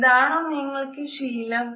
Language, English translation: Malayalam, This is what you are used to